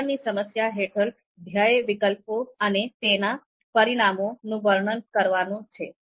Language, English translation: Gujarati, So under description problem, goal is to describe alternatives and their consequences